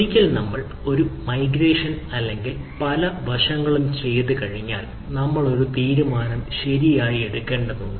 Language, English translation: Malayalam, so once we do a migration or any of this or many of these aspects, we need to take a call